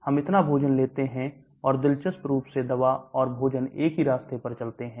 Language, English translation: Hindi, We take so much food and interestingly the drug and the food follow the same path